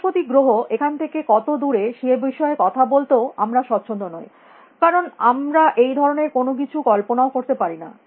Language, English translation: Bengali, We are not even comfortable talking about how far the planet Jupiter is from here, because we cannot even imagine that kind of a thing